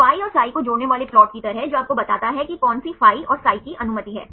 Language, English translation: Hindi, Kind of plot connecting phi and psi which tells you which rotations of phi and psi are allowed